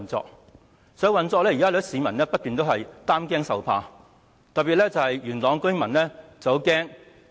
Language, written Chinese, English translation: Cantonese, 在實際運作方面，有很多市民也一直擔驚受怕，特別是元朗的居民很擔心。, Regarding the actual operation many members of the public particularly residents of Yuen Long have been worried and anxious about this